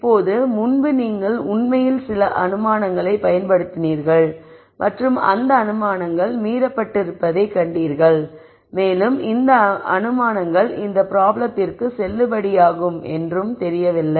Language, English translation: Tamil, Now, hopefully the previous iteration where you actually use some assump tions and saw that the assumptions were violated and that it was not likely that those assumptions are the one that are valid for this problem